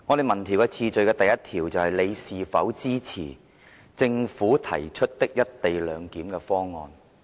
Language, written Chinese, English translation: Cantonese, 民調的第一條是"你是否支持政府提出的一地兩檢方案？, The first question of our opinion poll was Do you support the co - location arrangement of the Government?